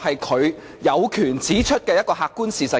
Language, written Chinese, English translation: Cantonese, 她有權指出這個客觀事實。, She does have the right to point out this objective fact